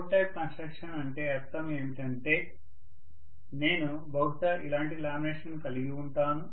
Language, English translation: Telugu, What we mean by core type construction is, let us say I am going to have probably a lamination somewhat like this, right